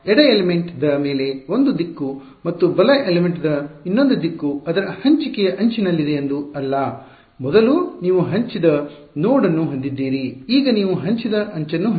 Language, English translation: Kannada, So, it's not that there is one direction on the left element and another direction on the right element its a shared edge, earlier you had a shared node now you have a shared edge